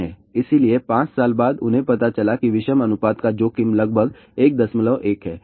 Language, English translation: Hindi, So, after 5 years what they found out that the odd ratio risk is roughly about 1